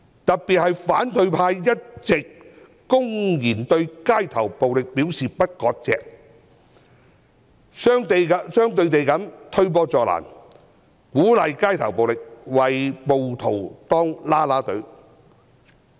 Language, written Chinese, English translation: Cantonese, 特別是反對派一直公然表示對街頭暴力不割席，這是推波助瀾，鼓勵街頭暴力，為暴徒當"啦啦隊"。, In particular opposition Members who have all along openly refused to sever ties with violence have actually prompted and encouraged street violence and cheered rioters on